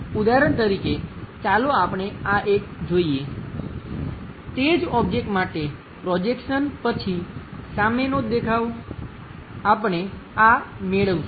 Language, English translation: Gujarati, For example, let us look at this one, for the same object the front view, after projection, we might be getting this one